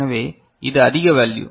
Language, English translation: Tamil, So, it is higher value